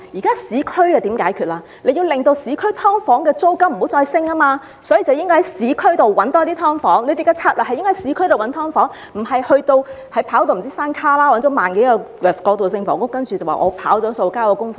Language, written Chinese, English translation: Cantonese, 當局應該要令市區的"劏房"租金不再上升，所以應該要在市區多找一些"劏房"，當局的策略應該是在市區找"劏房"，而不是跑去"山旮旯"找來1萬多個過渡性房屋單位，然後便說自己"跑數"成功，交了功課。, The duty of the Government is to identify more SDUs in urban areas so as to stop their rents from mounting . That is what the Government should do . It should not have gone a thousand miles to look for some 10 000 transitional housing units in distant places claiming that it has met the quota and got the job done